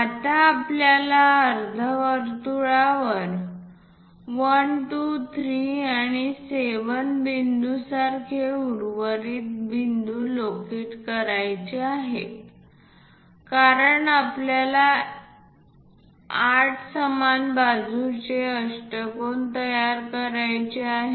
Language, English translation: Marathi, Now, we have to locate the remaining points like 1, 2, 3 and so on 7 points on the semicircle because we would like to construct an octagon of 8 equal sides